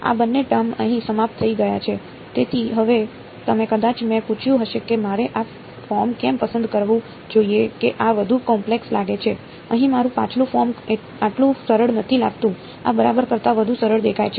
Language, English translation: Gujarati, So, now, you might I have asked that why should I have chose this form this looks so much more complicated, than my previous form over here did not look this much simpler right this look much simpler than this ok